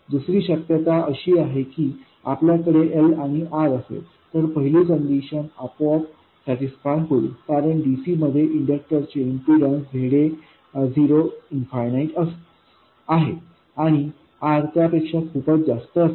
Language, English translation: Marathi, The second possibility is that you have L and R, then the first one is automatically satisfied because ZA of 0, the impedance of an inductor at DC is 0 and R will be much more than that